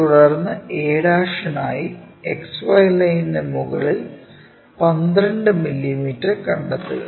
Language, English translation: Malayalam, Then, locate 12 mm above XY line for a' we are locating 12 mm